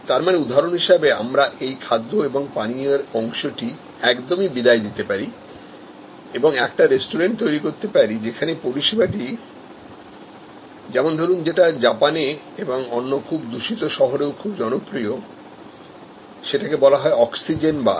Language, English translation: Bengali, So, for example, this beverage part and food part, we can eliminate and create a restaurant like service, very popular in Japan or in other high polluted cities, there call oxygen bars